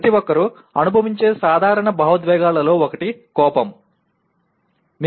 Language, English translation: Telugu, One of the most common emotion that everyone experiences is anger